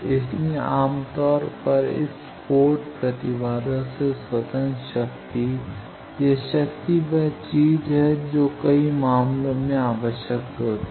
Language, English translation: Hindi, So, power independent of port impedance generally, this power is the thing that is required in many cases